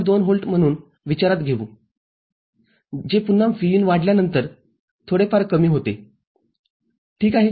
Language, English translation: Marathi, 2 volt which again as Vin increases falls little bit ok